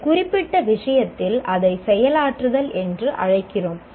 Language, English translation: Tamil, Whereas in this particular case, we call it execute